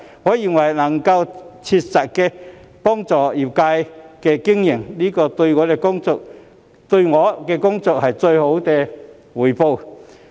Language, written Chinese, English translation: Cantonese, 我認為，能夠切實幫助業界經營，便是對我的工作最好的回報。, In my view the best reward for my work is the success in providing practical assistance to the industry in its operation